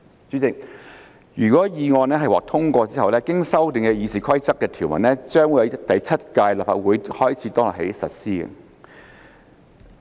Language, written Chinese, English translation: Cantonese, 主席，如果決議案獲通過，經修訂的《議事規則》條文將自第七屆立法會開始當日起實施。, President subject to the passage of the resolution the amended provisions of RoP will come into operation on the day on which the Seventh Legislative Council begins